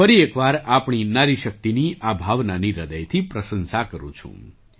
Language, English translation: Gujarati, I once again appreciate this spirit of our woman power, from the core of my heart